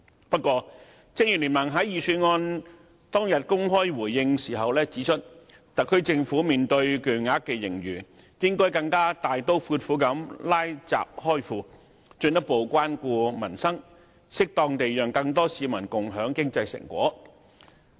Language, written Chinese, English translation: Cantonese, 不過，正如聯盟在預算案出爐當日公開回應時指出，特區政府面對巨額盈餘，應該更大刀闊斧"拉閘開庫"，進一步關顧民生，適當地讓更多市民共享經濟成果。, Nevertheless as pointed out by BPA in its open response on the day when the Budget was unveiled the SAR Government in the face of a huge surplus should be bold and resolute in using the public money further care for peoples livelihood and suitably let more people to share the fruits of economic development